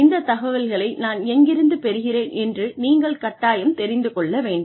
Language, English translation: Tamil, You should know, where I have got the information from